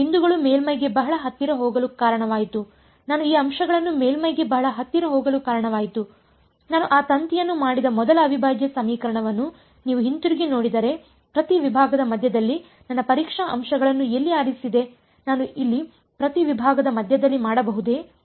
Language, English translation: Kannada, I led these points go very close to the surface, if you look thing back at the first integral equation that I did that wire where did I pick my testing points middle of each segment; can I do middle of each segment here